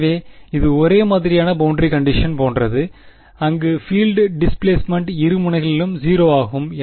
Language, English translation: Tamil, So, it is like a homogeneous boundary condition where the field is displacement is 0 at both ends